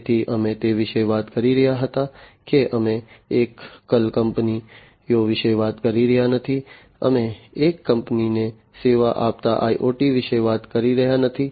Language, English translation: Gujarati, So, we were talking about that we are not talking about single companies, we are not talking about IoT serving a single company